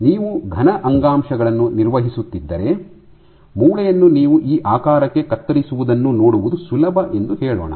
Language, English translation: Kannada, So, if you are handling solid tissues like let us say bone this is easy to see you should preferably cut them into this shape samples